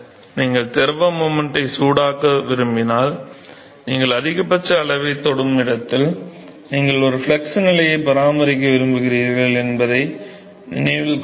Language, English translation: Tamil, Remember I do this that where if you want to heat the fluid moment you touches the maxima you would like to maintain a flux condition